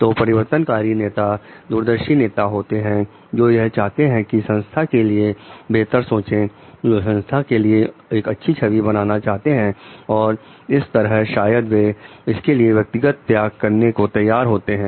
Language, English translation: Hindi, So, transformational leaders are visionary leaders who want to see the better version of the organization who want to see a better image of the organization and in that maybe if they are ready to make personal sacrifices for it also